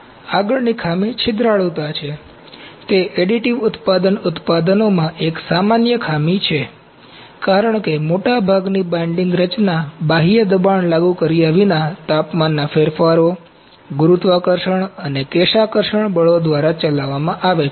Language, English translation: Gujarati, Next defect is porosity, porosity is a common defect in additive manufacturing products since more of most of the binding mechanism are driven by temperature changes, gravity and capillary forces without applying external pressure